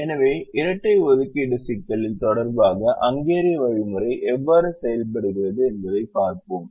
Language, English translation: Tamil, so we also said that we will see how the hungarian algorithm works with respect to the dual of the assignment problem